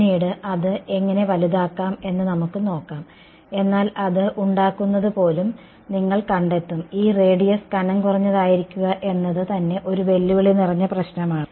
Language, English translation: Malayalam, Later on we can sort of appreciate how to make it bigger, but you will find that even making the; I mean keeping this radius to be thin is itself a challenging problem